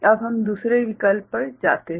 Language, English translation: Hindi, Now, we go to the other option